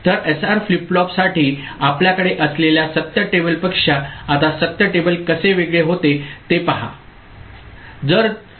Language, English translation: Marathi, So, how the truth table now becomes different from the truth table we had for SR flip flop ok